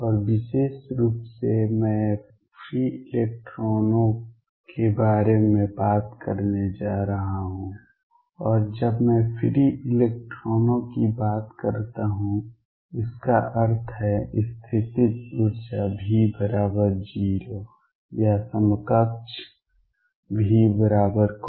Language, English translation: Hindi, And in particular I am going to talk about free electrons, and when I say free electrons; that means, the potential energy v is equal to 0 or equivalently v equals constant